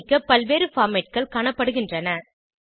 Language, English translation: Tamil, Various save formats are seen